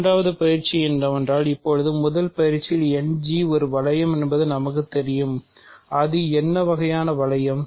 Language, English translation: Tamil, The second exercise is to show that now that by first exercise we know that End G is a ring, what kind of ring is it